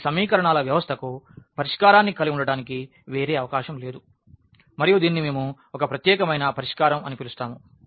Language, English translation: Telugu, So, there is no other possibility to have a solution for this given system of equations and this is what we call the case of a unique solution